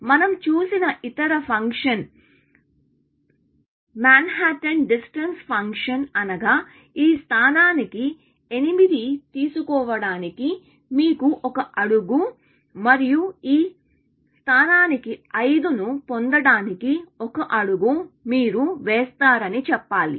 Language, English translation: Telugu, The other function that we saw was the Manhatten distance function, which said that you need one step to take 8 to this position, and you will take one step to get 5 to this position